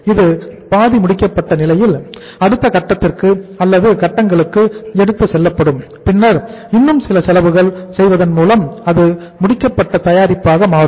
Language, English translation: Tamil, It is half finished and it will be taken to the next stage or stages and then by incurring some more expenses it will become the finished product